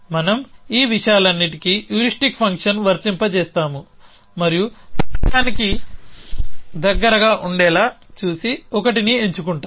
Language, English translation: Telugu, We said that we will apply the heuristic function to all these things and choose the 1 with sees to be closes to the goal